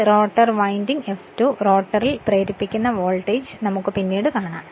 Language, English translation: Malayalam, And this the rotor winding this sE2 the voltage induced in the rotor we will see later right